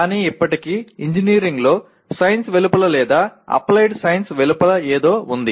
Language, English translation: Telugu, But still something in engineering that is outside science or outside applied science does exist